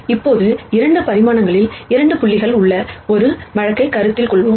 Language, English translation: Tamil, Now, let us con sider a case where we have 2 points in 2 dimensions